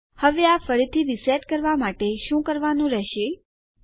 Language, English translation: Gujarati, Now obviously, to reset this, all you would have to do is Ah